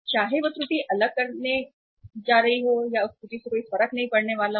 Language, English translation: Hindi, Whether that error is going to make a different or that error is not going to make a difference